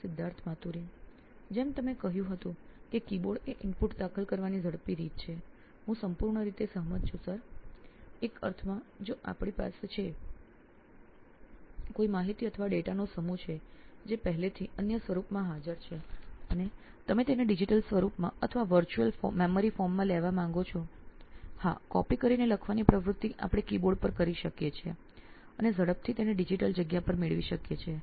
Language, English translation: Gujarati, Like you said keyboard is a fast way of entering input this is completely agreed Sir, in a sense if we have a set of information or data already existing in another form and we want to take it into a digital form or a virtual memory form, yes we can do a copied writing kind of an activity keyboard and fastly get it on the digital space